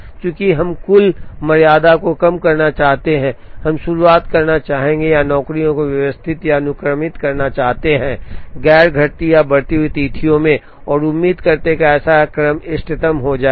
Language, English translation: Hindi, Since we want to minimize the total tardiness, we would like to begin with we would like to arrange or sequence the jobs, in non decreasing or increasing due dates and hope that such a sequence will turn out to be optimum